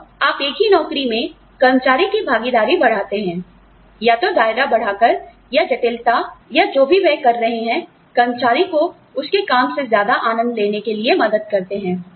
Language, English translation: Hindi, And, you increase the involvement of the employee, in the same job, by either increasing the scope, or complexity, or doing whatever you can, to help the employee enjoy the job more